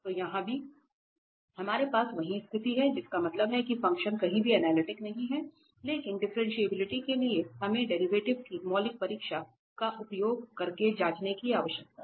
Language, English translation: Hindi, So, here also we have the same situation that means the function is nowhere analytic, but for differentiability we need to check using fundamental definition of derivative